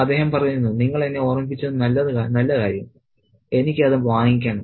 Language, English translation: Malayalam, And he says, good thing you reminded me, I have to do that